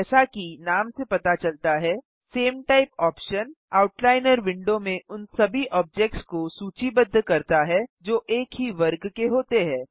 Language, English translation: Hindi, As the name suggests, the same type option lists all the objects that fall under the same category in the Outliner window